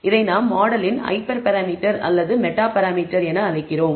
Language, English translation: Tamil, We call this a hyper parameter or a meta parameter of the model